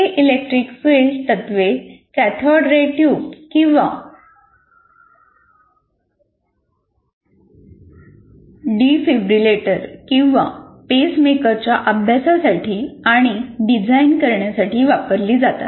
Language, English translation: Marathi, And these principle, electric field principles are applied to study and design cathodeary tube, heart, defibrillator, or pacemaker